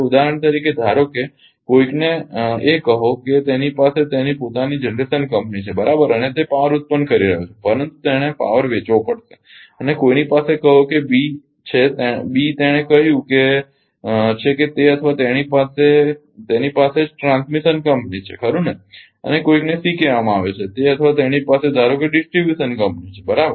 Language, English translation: Gujarati, For example, suppose a a suppose somebody called a he has his own generation company right and he is generating power, but he has to sell power and somebody has ah somebody has your say B call B he has ah say he or she has his just transmission company right and somebody called C he or she suppose has distribution company right